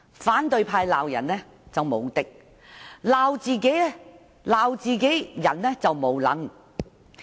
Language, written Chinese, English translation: Cantonese, 反對派在批評別人時簡直是"無敵"，但批評自己人時則"無能"。, The opposition parties are simply invincible in criticizing others but is incapable in criticizing their own buddies